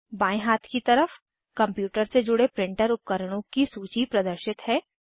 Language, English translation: Hindi, On the left hand side, a list of printer devices connected to the computer, is displayed